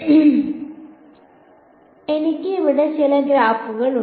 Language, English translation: Malayalam, So, I have some graphs over here